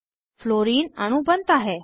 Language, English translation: Hindi, Fluorine molecule is formed